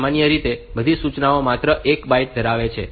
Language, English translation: Gujarati, Typically, all instructions occupy 1 byte only